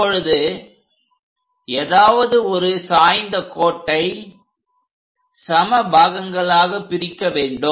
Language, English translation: Tamil, Now divide this cone slant thing into equal number of parts